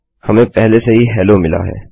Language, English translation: Hindi, Weve already got hello